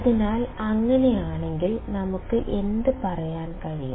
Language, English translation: Malayalam, So, if that is the case what can we say